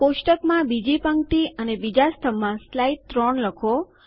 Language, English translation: Gujarati, In row 2 column 2 of the table, type slide 3